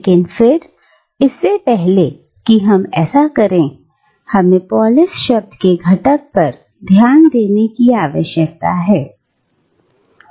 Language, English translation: Hindi, But again, before we do that, we need to focus on the component polis